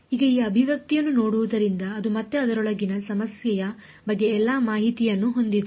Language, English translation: Kannada, Now looking at this expression does it have again does it have all the information about the problem inside it